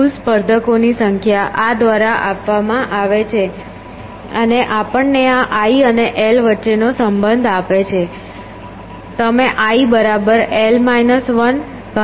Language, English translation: Gujarati, So, the total number of competitors is given by this and this gives us a relationship between i and l